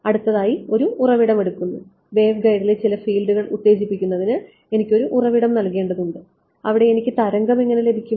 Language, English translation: Malayalam, Next comes a source I need to put a source to excite some field in the waveguide how will I get the wave in there